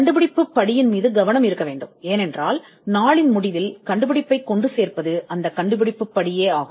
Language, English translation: Tamil, The focus is on the inventive step, because the inventive step is what will see the invention through at the end of the day